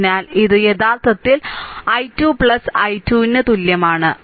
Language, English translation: Malayalam, So, it is actually is equal to i 2 plus i 3, right